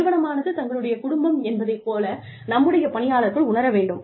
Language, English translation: Tamil, We need our employees, to feel like, the organization is their family